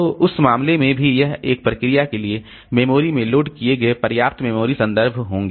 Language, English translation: Hindi, So, in that case also it will be having enough memory references loaded in the memory for a process